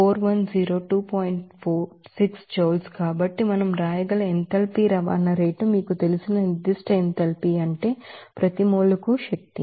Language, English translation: Telugu, So, the enthalpy transport rate we can write it is a you know specific enthalpy that means the energy per mole